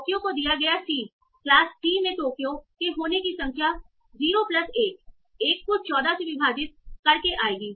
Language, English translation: Hindi, Toki given C would be number of times Tokyo occurs in class C, 0 plus 1, 1, divide by 14